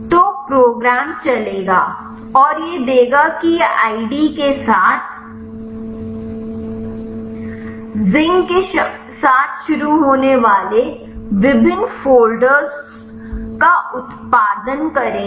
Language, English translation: Hindi, So, the program will run and it will give it will produce the different folders starts with zinc along with this id